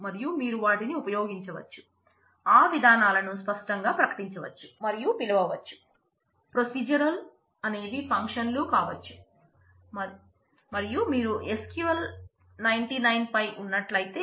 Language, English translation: Telugu, And you can use them they can declare and call those procedures explicitly